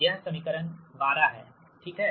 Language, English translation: Hindi, this is equation twelve